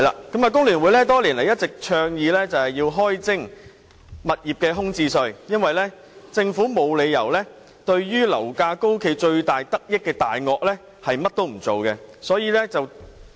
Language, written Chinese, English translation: Cantonese, 工聯會多年來一直倡議開徵物業空置稅，因為政府沒有理由對樓價高企最大得益的"大鱷"甚麼也不做。, Over the years FTU has been advocating the introduction of a vacant property tax as it sees no reason why the Government should not take action against the predators that have reaped the most benefits from high property prices